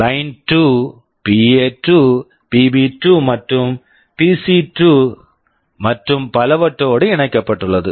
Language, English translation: Tamil, Line2 is connected to PA2, PB2, PC2, and so on